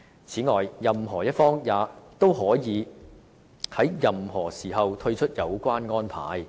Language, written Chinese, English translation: Cantonese, 此外，任何一方均可在任何時候退出有關安排。, In addition either party can withdraw from the arrangement any time